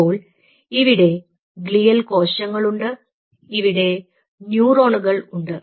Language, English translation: Malayalam, so here you have the glial cells, here you have the neurons